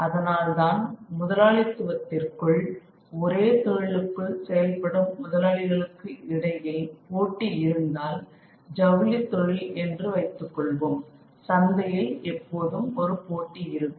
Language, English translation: Tamil, Which is why within capitalism, if there is competition between capitalists who are operating within the same industry, let us say the textile industry, there is always a contest of market